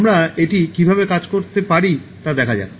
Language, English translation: Bengali, Let us see how we can work it out